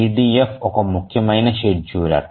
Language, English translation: Telugu, EDF is an important scheduler